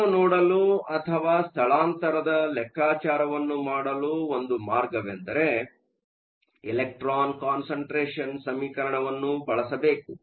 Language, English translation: Kannada, One way to look at it or to calculate the shift is to use the equation for the electron concentration